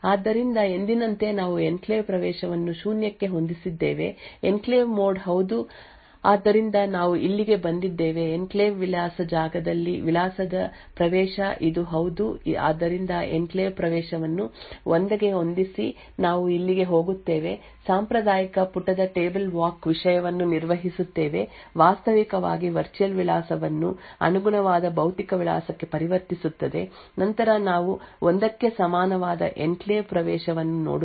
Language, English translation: Kannada, So as usual we set the enclave access to zero the enclave mode is yes so we actually come here is the access to address in the enclave address space this is yes so set enclave access to 1 we go here perform the traditional page table walk thing which will actually convert the virtual address to the corresponding physical address then we look at the enclave access equal to 1